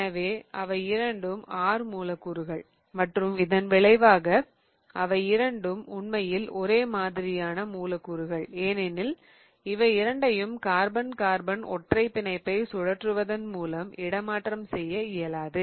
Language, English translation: Tamil, So, that is both of them are R molecules and as a result of which both of them are in fact identical molecules because the right because I really cannot interconvert them by rotation along carbon carbon bond along a single bond